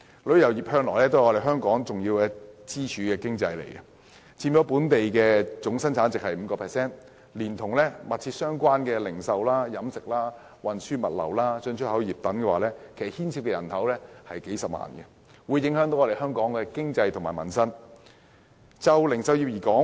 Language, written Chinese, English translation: Cantonese, 旅遊業向來是香港一根重要的經濟支柱，佔本地生產總值 5%， 連同息息相關的零售、飲食、運輸、物流、進出口等行業，牽涉幾十萬就業人口，對香港的經濟和民生有重大影響。, The tourism industry has always been a key pillar of the economy of Hong Kong contributing 5 % of Gross Domestic Product and employing along with such closely linked industries as retail catering transport logistics and importexport hundreds and thousands of people with significant impact on the economy and peoples livelihood in Hong Kong